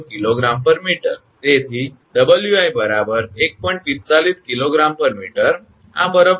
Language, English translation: Gujarati, 45 kg per meter, this is the weight of the ice